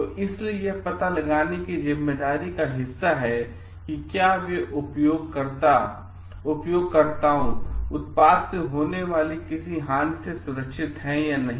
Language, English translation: Hindi, So, that is why it is part of the responsibility to find out like the are they users protected from harm